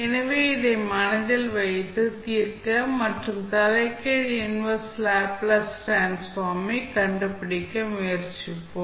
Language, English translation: Tamil, So, we will keep this in mind and try to solve the, try to find out the inverse Laplace transform, Fs